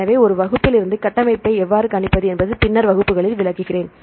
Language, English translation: Tamil, So, in later classes I will explain how to predict the structure from a sequence